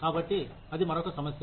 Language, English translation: Telugu, So, that is another issue